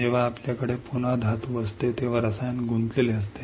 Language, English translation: Marathi, When we have a metal again, chemical is involved